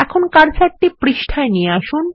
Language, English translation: Bengali, Now move the cursor to the page